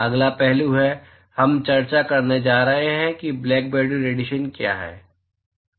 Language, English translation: Hindi, Next aspect is, we are going to discuss, what is Blackbody radiation